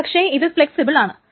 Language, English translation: Malayalam, , but it's flexible